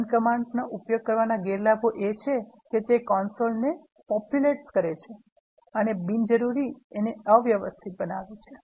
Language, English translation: Gujarati, The disadvantages of using run command is, it populates the console and make it messy unnecessarily